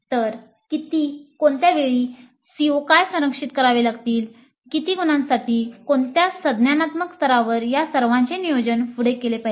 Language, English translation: Marathi, So, how many, at what times, what are the COs to be covered, for how many marks, at what cognitive levels, all this must be planned upfront